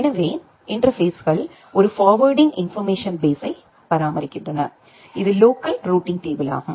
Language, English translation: Tamil, So, the interfaces they maintains a forwarding information base which is the local routing table